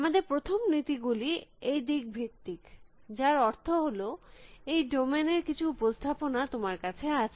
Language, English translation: Bengali, Our first principles base approach, which means that, you have some kind of representation of the domain